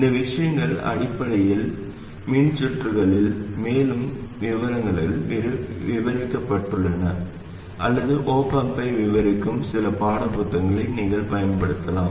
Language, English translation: Tamil, These things are described in more detail in basic electrical circuits or you can use some of the textbooks that you may have which describe the op amp